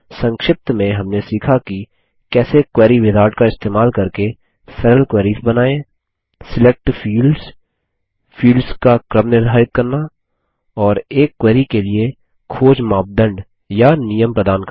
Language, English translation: Hindi, In this tutorial, we will learn how to create simple queries using the Query wizard Select fields Set the sorting order of the fields And provide search criteria or conditions for a query Let us first learn what a query is